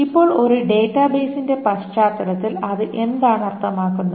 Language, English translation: Malayalam, Now what does it mean in that context of a database